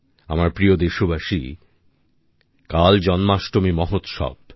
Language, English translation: Bengali, I once again wish all the countrymen a very Happy Janmashtami